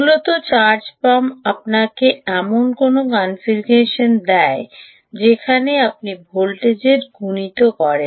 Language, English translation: Bengali, essentially, ah charge pump will give you some configurations of a where you do voltage multiplication